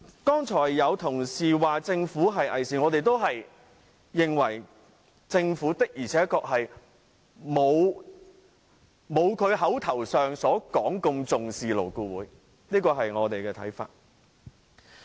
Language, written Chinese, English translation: Cantonese, 剛才有同事說政府偽善，我們也認為政府的確不如其所聲稱般重視勞顧會，這是我們的看法。, A colleague just now called the Government a hypocrite . We do not think the Government attaches so much importance to LAB as it claims . That is our view